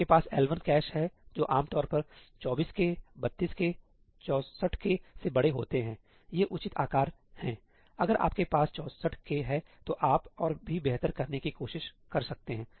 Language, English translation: Hindi, you have L1 caches which are typically larger than 24K 32K, 64K these are reasonable sizes; if you have 64K you could try to get even better